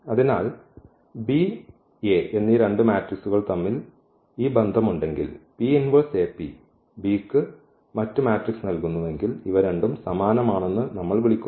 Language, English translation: Malayalam, So, if we have this relation between the 2 matrices here B and A that P inverse AP gives the B the other matrix, then we call that these two are similar